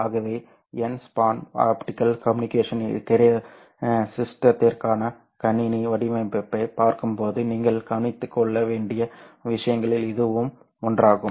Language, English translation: Tamil, So this is one of the things that you will have to take care when you are looking at system design for an n span optical communication system